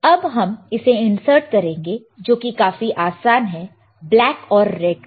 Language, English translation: Hindi, Now, we will insert it now, it is very easy right black and red I said black and red